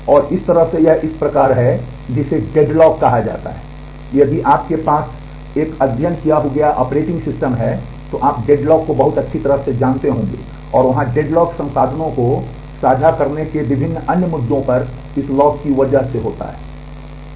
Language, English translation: Hindi, And this in so, this is kind this is what is called deadlock, if you have a studied operating system, then you have must be knowing deadlock very well, and there the deadlock happens to different other issues of sharing resources here it is because of the lock